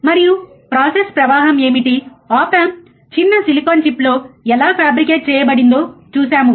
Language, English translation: Telugu, And what are the process flow, the op amp is fabricated on tiny silicon chip, right